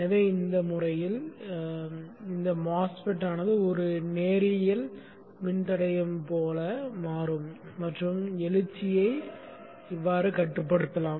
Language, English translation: Tamil, So this way this MOSFET can behave like a linear resistor dynamically changing and limit the search